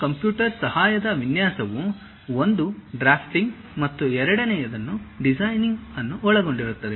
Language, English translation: Kannada, This Computer Aided Design, basically involves one drafting and the second one designing